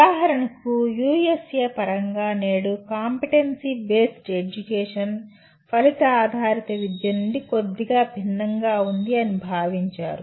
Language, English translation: Telugu, For example today Competency Based Education has come to be slightly different from Outcome Based Education in the context of USA